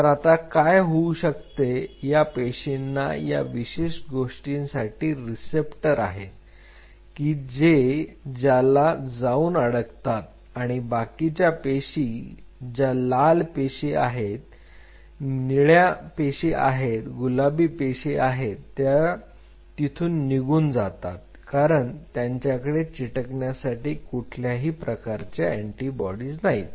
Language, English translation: Marathi, So, what will happen the cells if they are having the receptors for this particular thing they will go and bind and other cells which are the red cells blue cells pink cells they all will be moved out because they do not have an attaching antibody to it right